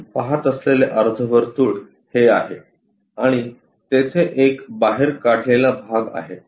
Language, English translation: Marathi, This is the semicircle what we see and there is a scoop out region